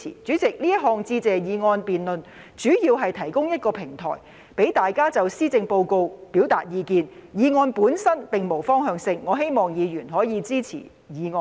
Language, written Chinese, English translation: Cantonese, 主席，這項致謝議案辯論主要是提供一個平台，讓大家就施政報告表達意見，議案本身並無方向性，我希望議員可以支持議案。, President the debate on the Motion of Thanks mainly serves to provide a platform for Members to express their views on the Policy Address . The motion itself does not point in any direction and I hope Members will support it